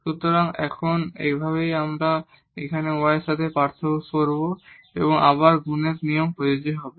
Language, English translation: Bengali, So, in now we will differentiate here with respect to y and again the product rule will be applicable